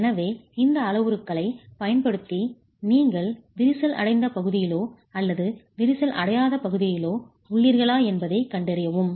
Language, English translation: Tamil, So, you're using these parameters to then establish if you're on the cracked region or the uncracked region